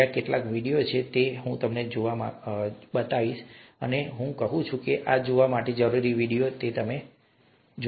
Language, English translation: Gujarati, There are a couple of videos that I’d like you to see and I say that these are essential videos to see, so were the first three